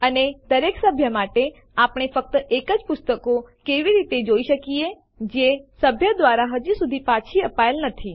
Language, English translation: Gujarati, And for each member, how can we see only those books that have not yet been returned by that member